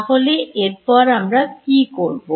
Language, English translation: Bengali, So, what could we do next